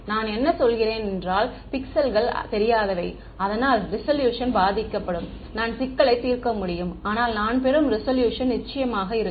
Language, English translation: Tamil, I mean m pixels m unknowns, but resolution will suffer I can solve the problem, but resolution that I will get will probably be course